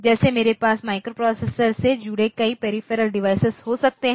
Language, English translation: Hindi, Like I can have a number of peripheral devices connected to the microprocessor